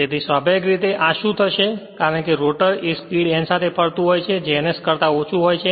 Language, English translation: Gujarati, So, naturally what will happen this as rotor is rotating with speed n which is less than ns right which is less than ns